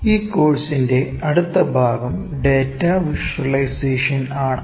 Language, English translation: Malayalam, Next part of this course is Data Visualisation